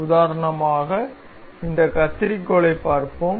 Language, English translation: Tamil, For example, we will see let us see this scissor